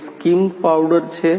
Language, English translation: Gujarati, That is skimmed powder